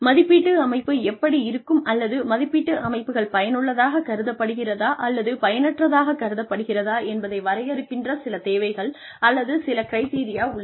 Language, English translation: Tamil, There are some needs, or some criteria, that define, what, how an appraisal system can be, or whether an appraisal system can be considered, as effective or not